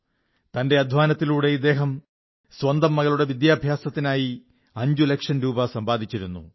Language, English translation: Malayalam, Through sheer hard work, he had saved five lakh rupees for his daughter's education